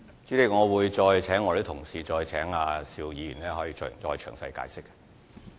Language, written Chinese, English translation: Cantonese, 主席，我會再請相關同事向邵議員詳細解釋。, President I would ask the staff members concerned to explain matters in detail to Mr SHIU